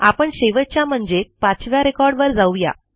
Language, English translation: Marathi, Let us go to the last record which is the fifth